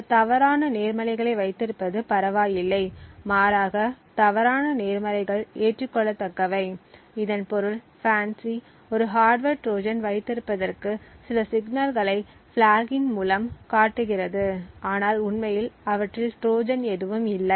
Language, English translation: Tamil, It is okay to have a few false positives, rather the false positives are acceptable this means that it is okay for FANCI to flag a few signals to as having a hardware Trojan when indeed there is no such Trojan present in them